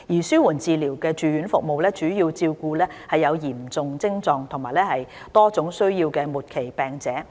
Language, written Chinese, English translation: Cantonese, 紓緩治療住院服務主要照顧有嚴重徵狀及多種需要的末期病者。, Palliative care inpatient services are mainly for terminally - ill patients with severe or complex symptoms and needs